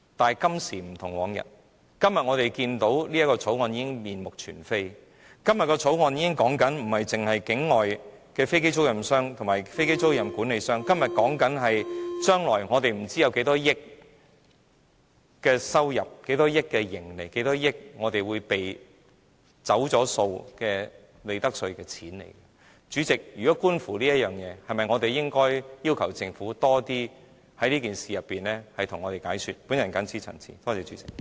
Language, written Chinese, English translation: Cantonese, 可是，今時不同往日，我們今天看到這項修正案已面目全非，修正案所說的已不單是境外飛機租賃商及飛機租賃管理商，而是涉及將來不知會有多少億元收入、盈利和利得稅會被"走數"，主席，觀乎這一點，我們是否應該要求政府在這件事情上向我們作更多解說呢？, The Bill has been drastically revised and the amendments are not only talking about offshore aircraft lessors and offshore aircraft leasing managers . The amendments will lead to I dont know how many billions of dollars of revenues or profits or profits tax being exempted for tax assessment . Chairman for this point alone should we not request the Government to make further explanation to us?